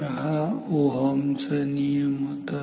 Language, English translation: Marathi, So, this is from Ohm’s law